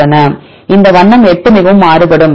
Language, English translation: Tamil, So, this conserve the color is 8 very highly variable right